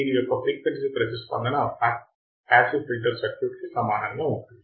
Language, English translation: Telugu, The frequency response of the circuit is the same for the passive filter